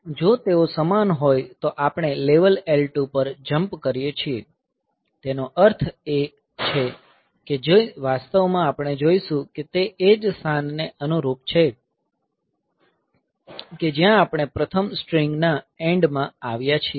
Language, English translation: Gujarati, So, that way; so, if they are same then we jump to the level L 2; that means, which it actually we will see that it corresponds to the position where we have come to the end of first string